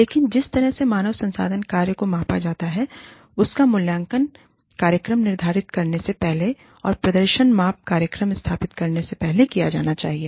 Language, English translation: Hindi, But, the manner in which, the human resources function is measured, should be evaluated, before the program is set up, and before the performance measurement program, is established